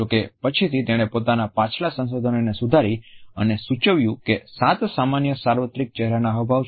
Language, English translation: Gujarati, However, later on he revised his previous research and suggested that there are seven common universal facial expressions